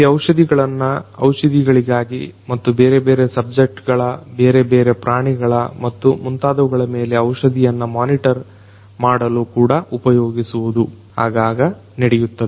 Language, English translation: Kannada, These drugs are also used for you know the drugs and their monitoring of the drugs on different subjects, different animals and so on is also quite often done